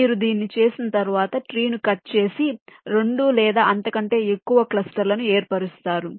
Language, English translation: Telugu, then, once you do this, you can cut the tree to form two or more clusters